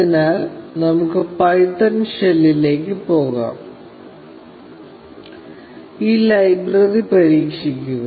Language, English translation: Malayalam, So, let us just go to the python shell, and try out this library